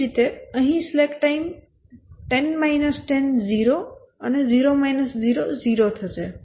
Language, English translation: Gujarati, Similarly here 10 minus 10 is 0 and 0 slack time